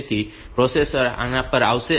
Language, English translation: Gujarati, So, the processor will come to this